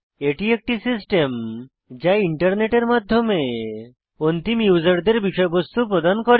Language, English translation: Bengali, A web server is a system that delivers content to end users over the Internet